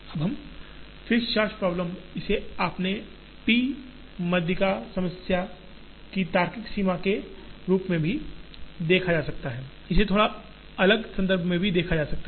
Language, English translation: Hindi, Now, the fixed charge problem, automatically it can be seen as logical extent of the p median problem, it can also be seen in a slightly different context